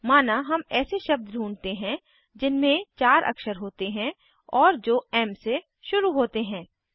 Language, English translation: Hindi, Say we want to search any words that are 4 letters long and starts with M